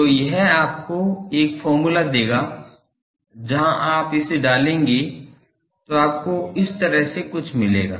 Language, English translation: Hindi, So, that will give you a formula where you will get putting that into this you get something like this